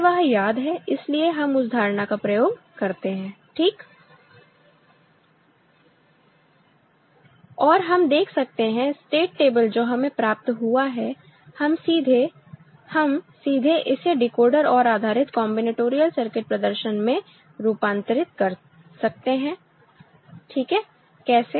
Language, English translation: Hindi, And we can see the state table that we have got ok, we can directly; we can directly convert to a Decoder OR based combinatorial circuit representation ok